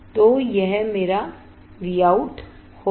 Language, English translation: Hindi, So, that will be my V out